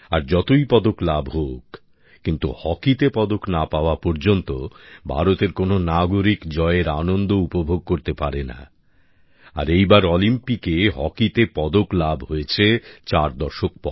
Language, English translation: Bengali, And irrespective of the number of medals won, no citizen of India enjoys victory until a medal is won in hockey